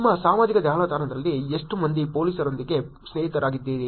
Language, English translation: Kannada, How many of you are friends with the police on your social network